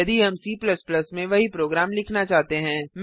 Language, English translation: Hindi, If we want to write the same program in C++